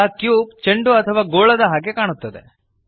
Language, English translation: Kannada, Now the cube looks like a ball or sphere